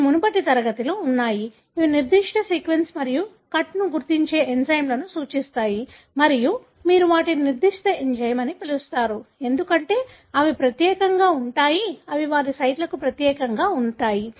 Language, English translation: Telugu, These are in the previous class that refers to enzymes that identify a particular sequence and cut, and you call as restriction enzyme, because they are unique to, they are so specific to their sites